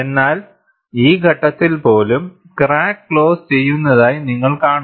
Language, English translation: Malayalam, But even at this stage, you find the crack is closed